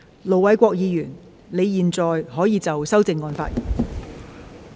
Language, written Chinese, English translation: Cantonese, 盧偉國議員，你現在可以就修正案發言。, Ir Dr LO Wai - kwok you may now speak on the amendment